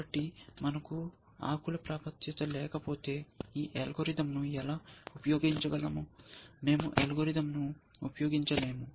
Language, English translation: Telugu, So, if we do not have access to the leaf then how can we use this algorithm, we cannot use the algorithm